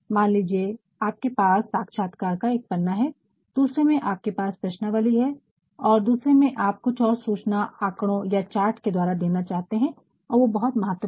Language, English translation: Hindi, Suppose, in one you have only interview seats in another you have questionnaires and in others you also want to provide some more information through charts and graphs and all that that were actually very important